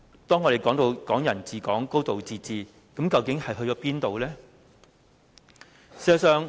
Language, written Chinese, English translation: Cantonese, 我們談及的"港人治港"、"高度自治"去了哪裏呢？, What about Hong Kong people ruling Hong Kong and a high degree of autonomy?